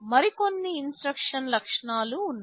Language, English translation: Telugu, and Tthere are some other instruction features